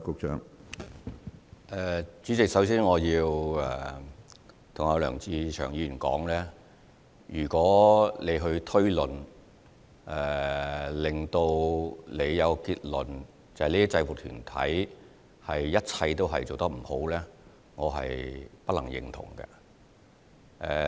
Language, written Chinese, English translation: Cantonese, 主席，首先，我要對梁志祥議員說，如果他的推論讓他有一個所有制服團體都做得不好的結論，我不能認同。, President first of all I need to tell Mr LEUNG Che - cheung that if he comes up with a bad conclusion based on his inferences that is something I cannot agree with